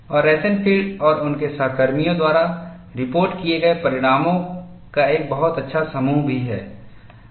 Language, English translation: Hindi, And there is also a very nice set of results reported by Rosenfield and his co workers